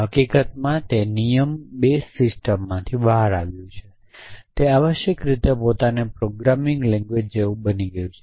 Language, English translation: Gujarati, And then use that in fact it turned out at rule base systems has become like a programming language in itself essentially